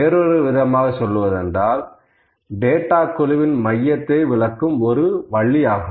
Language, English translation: Tamil, To put in other words, it is a way to describe the centre of the data set